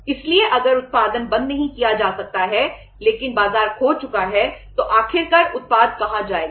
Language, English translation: Hindi, So if the production cannot be stopped but the market is lost so ultimately where the product will go